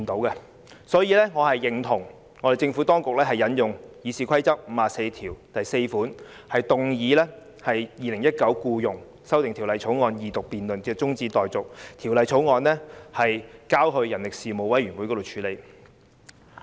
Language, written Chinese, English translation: Cantonese, 因此，我認同政府當局引用《議事規則》第544條，動議把《條例草案》的二讀辯論中止待續，並把《條例草案》交付人力事務委員會處理。, Hence I agree with the Governments approach to invoke the power of Rule 544 of the Rules of Procedure to move a motion to adjourn the Second Reading debate of the Bill and refer it to the Panel on Manpower for scrutiny